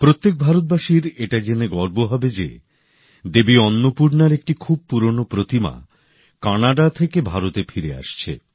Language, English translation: Bengali, Every Indian will be proud to know that a very old idol of Devi Annapurna is returning to India from Canada